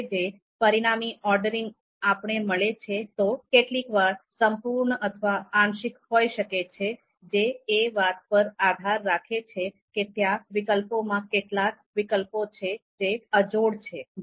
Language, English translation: Gujarati, Now, the this resulted ordering can sometimes be complete, can sometimes be partial, so that depends on whether we have the whether among the alternatives we have some of the incomparable alternatives as well